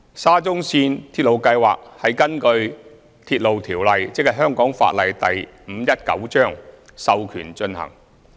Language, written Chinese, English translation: Cantonese, 沙中線鐵路計劃是根據《鐵路條例》授權進行。, As the implementation of the SCL Project is authorized under the Railway Ordinance Cap